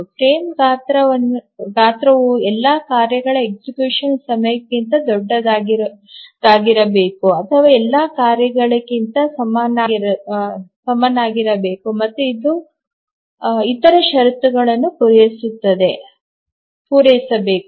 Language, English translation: Kannada, So the frame size must be larger than the execution time of all tasks, greater than equal to all tasks, and also it has to satisfy the other conditions